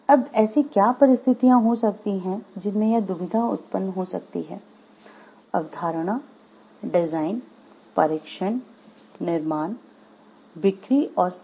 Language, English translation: Hindi, Now, what could be the situations in where this dilemma may arise are; conceptualization, design, testing, manufacturing, cells, surveys